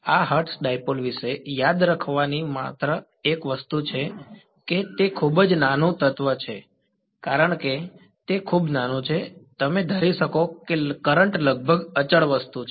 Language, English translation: Gujarati, The only sort of a thing to remember about this hertz dipole it was a very very small current element and because it is very small, you can assume current is approximately constant thing right